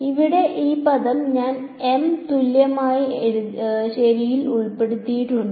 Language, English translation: Malayalam, This term over here I have put into M equivalent ok